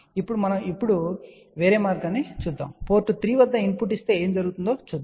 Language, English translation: Telugu, Now let us just do other way round now, suppose if we give a input at port 3 let us see what happened